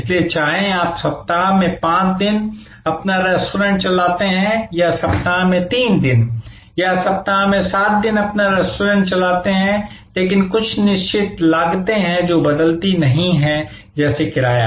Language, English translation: Hindi, So, whether you run your restaurant 5 days in a week or you run your restaurant 3 days in a week or 7 days in a week, there are certain costs, which will remain unaltered like rent